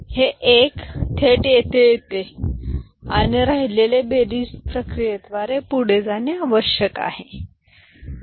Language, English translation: Marathi, So, this 1 directly comes here and rest you have to do by going through the addition process